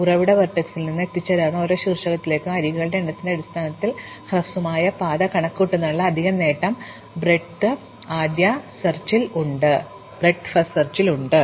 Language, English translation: Malayalam, Breadth first search has the added advantage of computing the shortest path in terms of number of edges from the source vertex to every reachable vertex from it